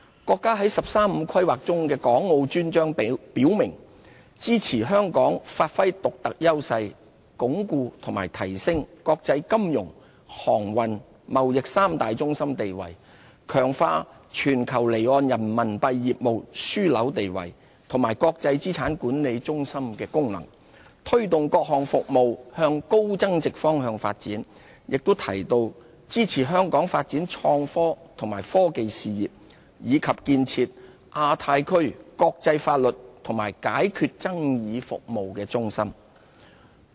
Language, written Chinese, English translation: Cantonese, 國家在"十三五"規劃中的港澳專章表明，支持香港發揮獨特優勢，鞏固及提升國際金融、航運、貿易三大中心地位，強化全球離岸人民幣業務樞紐地位和國際資產管理中心功能，推動各項服務向高增值方向發展，亦提到支持香港發展創新及科技事業，以及建設亞太區國際法律及解決爭議服務中心。, In the Dedicated Chapter on Hong Kong and Macao in the 13 Five - Year Plan our country indicates support for Hong Kong to leverage its unique advantages reinforce and enhance its status as an international financial transportation and trade centre and strengthen Hong Kongs status as a global hub for off - shore Renminbi RMB business and our role as an international asset management centre and move various services up the value chain . It also expresses support for Hong Kong in developing the IT industry and establishing itself as a centre for international legal and dispute resolution services in the Asia - Pacific region